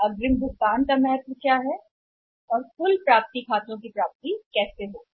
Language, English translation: Hindi, What is importance of advance payments and how the total accounts receivables account for